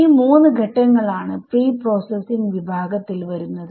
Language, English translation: Malayalam, So, these 3 steps are what come under the category of preprocessing ok